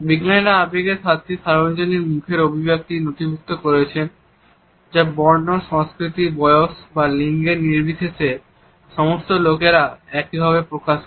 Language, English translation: Bengali, Scientists have documented seven universal facial expressions of emotion that are expressed similarly by all people regardless of race, culture, age or gender